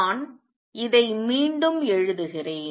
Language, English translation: Tamil, Let me write this again